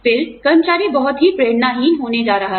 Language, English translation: Hindi, Then, the employee is going to be, greatly demotivated